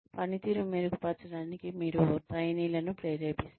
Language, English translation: Telugu, You motivate trainees, to improve performance